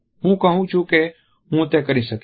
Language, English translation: Gujarati, I am telling you, I can do it